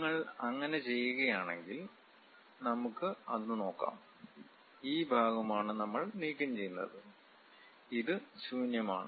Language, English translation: Malayalam, If you do that, let us look at that; this is the part what we are removing and this is completely empty